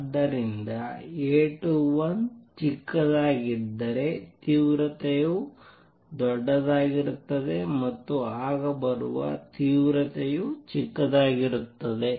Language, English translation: Kannada, So, intensity would be larger if A 21 is small then the intensity coming would be smaller